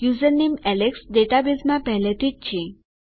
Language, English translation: Gujarati, The username alex is already in the database